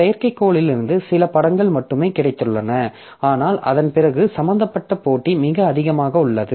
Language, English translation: Tamil, So, we have got only a few images from the satellite but after that the computation that is involved is very high